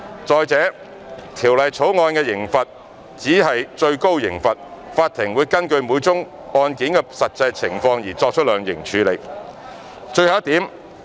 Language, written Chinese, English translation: Cantonese, 再者，《條例草案》的刑罰只是最高刑罰，法庭會根據每宗案件的實際情況而量刑。, Besides the penalty stipulated in the Bill is the maximum penalty and the court will impose sentences after taking into account the actual circumstances of each case